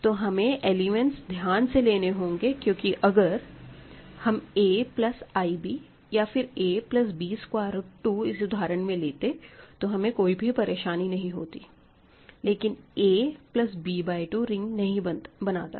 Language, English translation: Hindi, If you take a plus b i in this example or a plus b root 2 in this example, you will be fine; but a plus b by 2 is not going to give you a ring